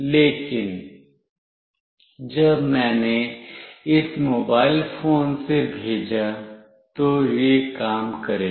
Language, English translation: Hindi, But, when I sent from this mobile phone, it will work